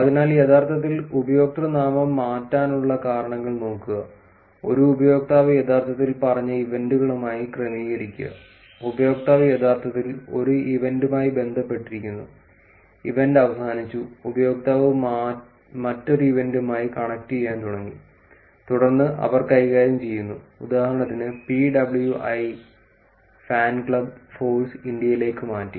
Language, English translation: Malayalam, So, looking at the reasons for actually username changes; adjust to events which is one user actually said that and the user was actually associated with an event, the event finished and the user started connecting with the another event and then, so they handle was changed for example, pwifanclub to ForceIndia